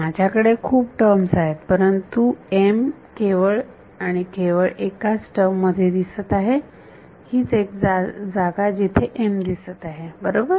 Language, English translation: Marathi, I have so many terms, but m is appearing only in only one term over here, this is the only place where m appears right